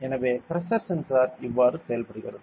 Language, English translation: Tamil, So, this is how a pressure sensor works